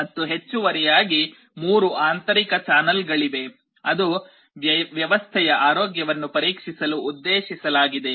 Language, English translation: Kannada, And in addition there are 3 internal channels that are meant for checking the health of the system